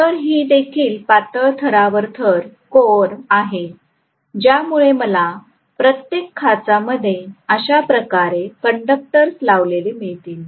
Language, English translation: Marathi, So this is also a laminated core because of which I may have conductors put in each of these slots like this